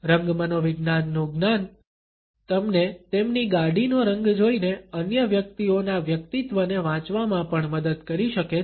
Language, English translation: Gujarati, Knowledge of color psychology can even help you read another persons personality just by looking at the color of their car